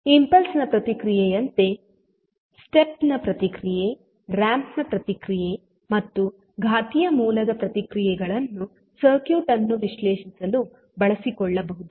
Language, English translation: Kannada, So, like impulse response, step response, ramp and exponential source response can be utilize for analyzing the circuit